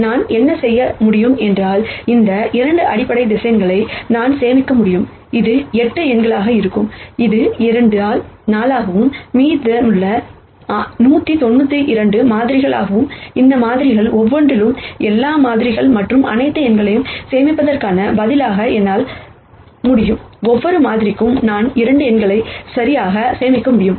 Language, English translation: Tamil, What I could do is, I could store these 2 basis vectors that, would be 8 numbers which is 2 by 4 and for the remaining 198 samples, instead of storing all the samples and all the numbers in each of these samples, what I could do is for each sample I could just store 2 numbers right